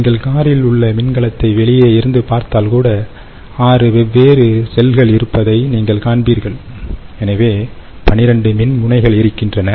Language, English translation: Tamil, if you, if you look at it even from outside, you will see, there is six different cells, so there are twelve electrodes right